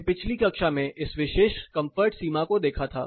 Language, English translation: Hindi, We saw this particular comfort boundary in the last class